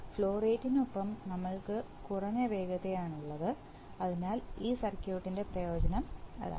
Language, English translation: Malayalam, And with the flow rate, we have a lower speed, so that is the advantage of this circuit